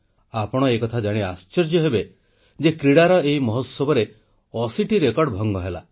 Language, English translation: Odia, You will be surprised to know that 80 records were broken during this grand sports festival